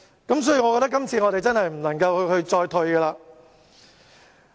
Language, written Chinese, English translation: Cantonese, 因此，我覺得這次我們真的不能再退讓了。, Hence I think this time around we really cannot step back again